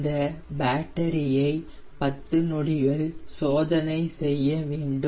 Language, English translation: Tamil, i need to check my standby battery for ten seconds